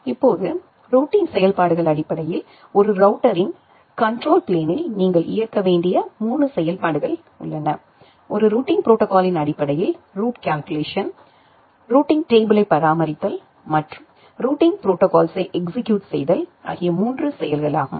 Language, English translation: Tamil, Now, the routing functions are basically there are 3 functionalities that you need to execute inside the control plane of a router, the route calculation based on a routing protocol, the maintenance of the routing table and the execution of the routing protocol